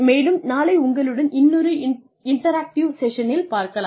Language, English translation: Tamil, And, I hope to have a more interactive session, with you tomorrow